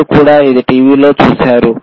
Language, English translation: Telugu, y You may also have seen TV